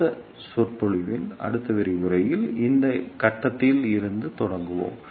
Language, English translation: Tamil, And the next lecture we will start from this point onward